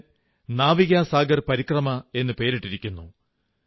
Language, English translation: Malayalam, The expedition has been named, Navika Sagar Parikrama